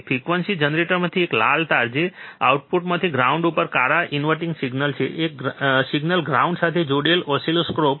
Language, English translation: Gujarati, One red wire from the frequency generator, that is the signal to the inverting black to the ground from the output one signal to the oscilloscope ground connected to the ground